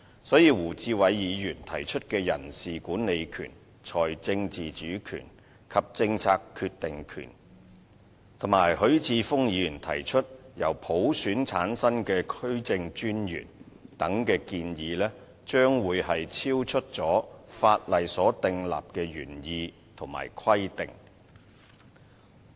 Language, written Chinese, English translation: Cantonese, 所以，胡志偉議員提出的人事管理權、財政自主權及政策決定權，以及許智峯議員提出由普選產生的區政專員等建議，將會超出法例所訂立的原意及規定。, 547 . Hence such proposals as the powers of staff management financial autonomy and making policy decisions suggested by Mr WU Chi - wai and District Commissioners to be returned by universal suffrage as suggested by Mr HUI Chi - fung will go beyond the original intent and requirements set out in law